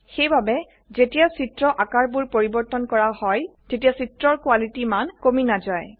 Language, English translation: Assamese, Therefore, when the images are resized, the picture quality is unaffected